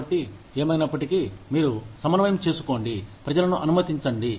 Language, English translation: Telugu, So anyway, so you coordinate, let people